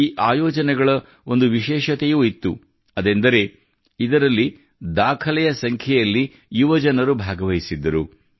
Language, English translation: Kannada, The beauty of these events has been that a record number of youth participated them